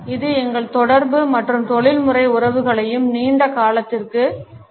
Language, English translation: Tamil, It also affects our communication and professional relationships too in the long run